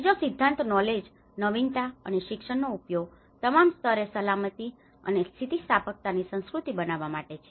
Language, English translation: Gujarati, The third principle is use knowledge, innovation, and education to build a culture of safety and resilience at all levels